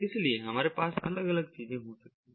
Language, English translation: Hindi, we have these different things